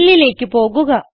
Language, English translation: Malayalam, Let us go to Fill